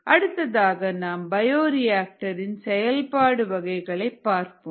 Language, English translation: Tamil, next let us look at the bioreactor operation modes